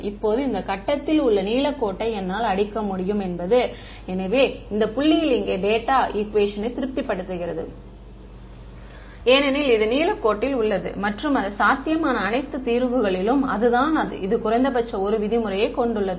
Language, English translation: Tamil, Now, what is the earliest I can hit this blue line is at this point; so, this point over here it satisfies the data equation because it is on the blue line and it of all possible solutions it is that which has the minimum 1 norm right